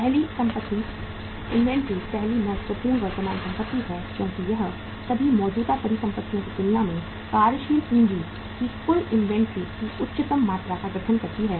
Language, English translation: Hindi, First asset, inventory is the first important current asset because it constitutes the highest amount of the total inventory of the working capital in as compared to the all the current assets